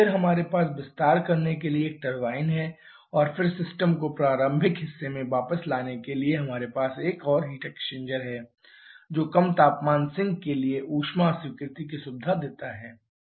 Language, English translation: Hindi, Then we have a turbine to perform the expansion and then to get the system back to the initial part we have another heat exchanger which facilitates the heat rejection to a low temperature sink